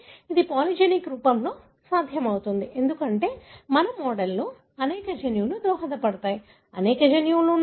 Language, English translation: Telugu, That is possible in polygenic form, because we have, our model is there are many genes that contribute, many, alleles of many genes contribute